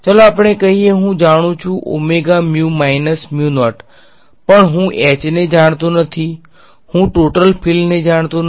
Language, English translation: Gujarati, I know let us say j omega mu minus mu naught I know, but I do not know H I do not know the total field